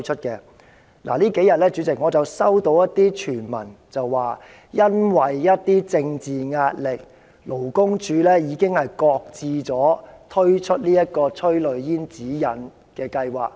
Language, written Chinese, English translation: Cantonese, 主席，這數天我收到一些傳聞，指因為一些政治壓力，勞工處已經擱置推出催淚煙指引的計劃。, President in the past couple of days I have heard hearsay that due to certain political pressure LD has shelved the plan of introducing the guidelines on tear gas